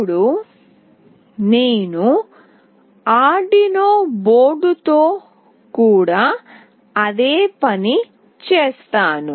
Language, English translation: Telugu, Now I will be doing the same thing with Arduino board